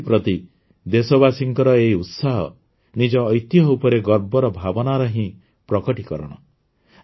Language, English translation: Odia, Friends, this enthusiasm of the countrymen towards their art and culture is a manifestation of the feeling of 'pride in our heritage'